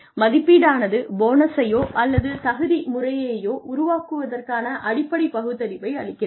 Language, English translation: Tamil, Appraisal provides a rational basis for, constructing a bonus or merit system